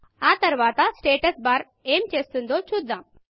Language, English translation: Telugu, Next, lets see what the Status bar does